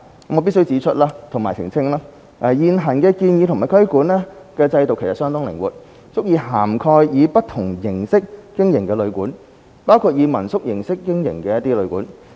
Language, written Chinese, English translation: Cantonese, 我必須指出及澄清，現行及建議的規管制度相當靈活，足以涵蓋以不同形式經營的旅館，包括以民宿形式經營的旅館。, I must point out and clarify that the current and proposed regulatory regimes are rather flexible and are sufficient to cover the hotels and guesthouses under various modes of operation including those operating in the mode of home - stay lodging